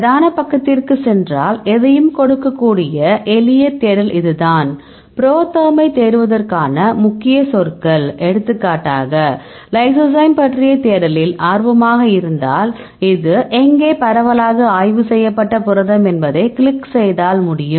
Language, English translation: Tamil, So, now if you go to the main page right so, so this is the simple search you can give any keywords to search ProTherm for example, if you are interested lysozyme, where this is the protein widely studied, so, can if you click go